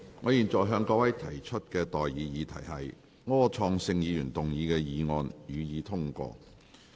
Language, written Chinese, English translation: Cantonese, 我現在向各位提出的待議議題是：柯創盛議員動議的議案，予以通過。, I now propose the question to you and that is That the motion moved by Mr Wilson OR be passed